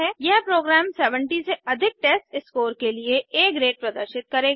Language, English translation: Hindi, The program will display A grade for the testScore greater than 70